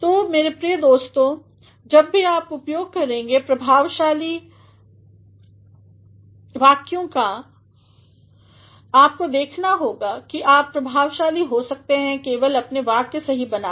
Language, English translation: Hindi, So, my dear friends whenever you are going to make use of effective sentences, you have to see that you can be effective simply by making your sentences correct